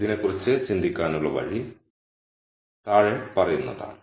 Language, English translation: Malayalam, The way to think about this is the following